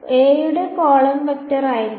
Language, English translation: Malayalam, The column vector will be